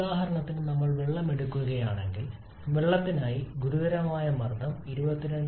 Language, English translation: Malayalam, For example if we pick up say water, for water the critical pressure is 22